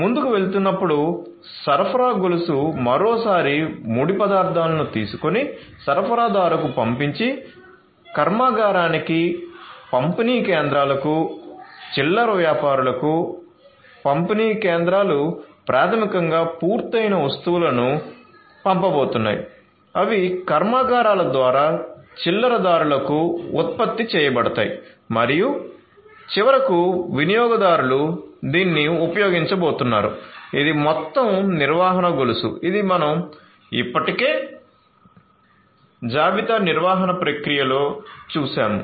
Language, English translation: Telugu, So, going forward, so you know the supply chain once again is going to take the raw materials send it to the supplier goes to the factory, to the distribution centers, to the retailers the these distribution you know centers basically are going to send the finished goods, that are produced by the factories to the retailers and finally, the customers are going to use it this is this whole supply chain that we have already seen in the inventory management process